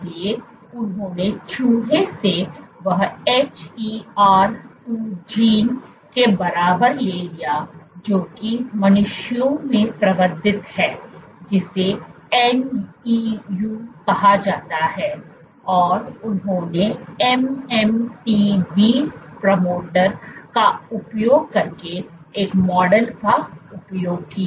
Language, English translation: Hindi, So, what they did was they took the rat equivalent of it of HER 2 gene which is amplified in humans this is called NEU, and they used a model using the MMTV promoter